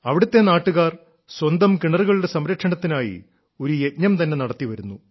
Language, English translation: Malayalam, Here, local people have been running a campaign for the conservation of their wells